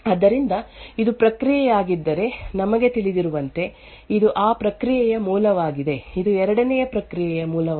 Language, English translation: Kannada, So, as we know if this is a process, this is the parent of that process, this is the parent of the 2nd process and so on, so all processes while we go back to the Init process